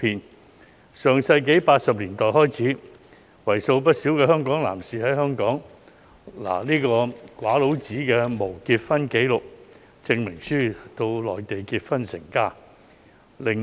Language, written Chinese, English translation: Cantonese, 自上世紀80年代開始，為數不少的香港男士在港領取無結婚紀錄證明書後，到內地結婚成家。, Since the 1980s a large number of Hong Kong males have gone to the Mainland to get married and have their own families upon obtaining Certificates of Absence of Marriage Record in Hong Kong